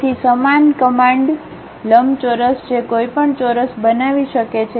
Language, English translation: Gujarati, So, same command like rectangle one can construct squares also